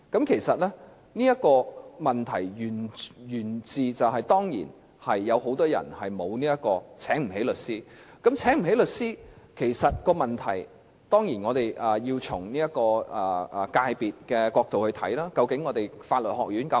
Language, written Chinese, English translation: Cantonese, 其實，這問題當然源自很多人沒有能力聘請律師，就這方面，當然我們要從界別的角度來看，究竟香港的法律學院是否足夠？, In fact this is of course due to the fact that many people do not have the means to hire a lawyer and on this point certainly we have to consider it from the perspective of the profession . Are there enough law schools in Hong Kong?